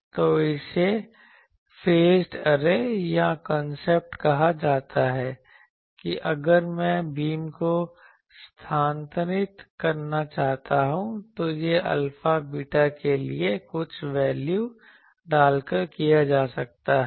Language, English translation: Hindi, So, this is called the concept of phased array that if I want to move the beam that can be done by putting some values for alpha, beta